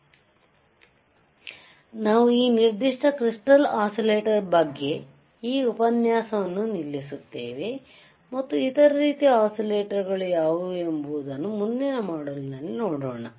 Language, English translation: Kannada, So, we will we we will stop in t this lecture in this particular on this particular crystal oscillators and let us see in the next module what are the other kind of oscillators alrightare